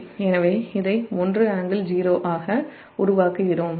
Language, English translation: Tamil, so we are making it as a one angle zero